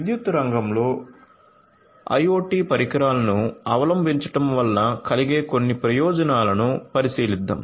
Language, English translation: Telugu, So, let us look at some of the advantages of the adoption of IoT solutions in the power sector